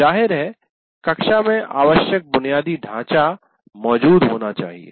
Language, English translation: Hindi, And obviously the necessary infrastructure should exist in the classroom